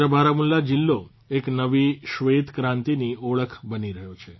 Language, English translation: Gujarati, The entire Baramulla is turning into the symbol of a new white revolution